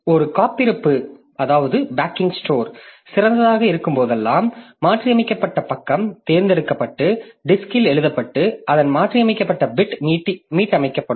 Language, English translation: Tamil, So, whenever a backing store is idle, a modified page is selected and written to the disk and its modified bit is reset